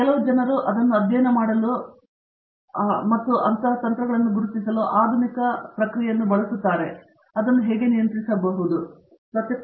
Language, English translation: Kannada, So, people are using modern techniques to study them and trying to identify, how do I control it